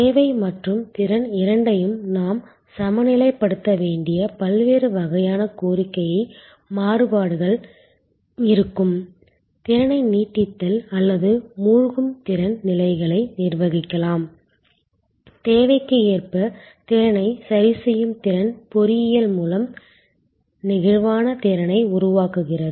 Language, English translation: Tamil, There would be different types of demand variations we have to balance both demand and capacity, capacity can be managed through stretching or sinking capacity levels adjusting capacity to match demand are creating flexible capacity by engineering